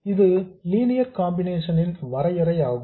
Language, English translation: Tamil, That is the definition of the linear circuit